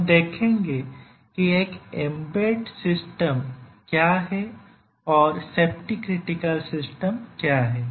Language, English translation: Hindi, So, we will see what is an embedded system and what is a safety critical system